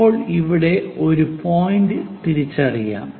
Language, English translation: Malayalam, Now, let us identify a point something here